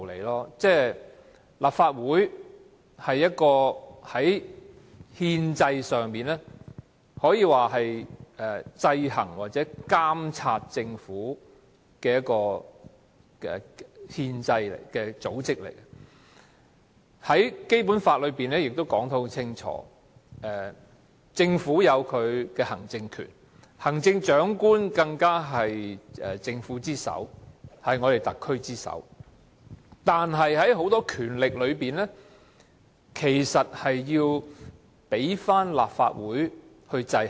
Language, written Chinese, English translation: Cantonese, 立法會是憲政上負責制衡或監察政府的組織，《基本法》亦訂明政府擁有行政權，而行政長官更是特區政府之首，但很多權力均受立法會制衡。, The Legislative Council is a constitutional body responsible for maintaining checks and balances or monitoring the Government the Basic Law also provides that the Government has executive powers and the Chief Executive though being the head of the SAR Government many of her powers are nonetheless subject to the checks and balances of the Legislative Council